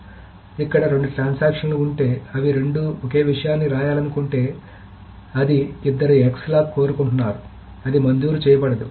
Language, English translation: Telugu, So if there are two transactions that both of them want to write to the same thing, which is both of them are wanting that X lock, they cannot rate it